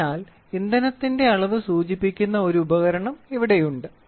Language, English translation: Malayalam, So, the entire device is indicating the level of fuel present in the vehicle